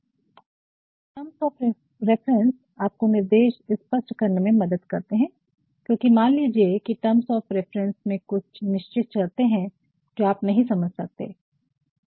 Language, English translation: Hindi, And, then these terms of reference also allows you to clarify instructions, because suppose in the terms of references there are certain terms, which you do not understand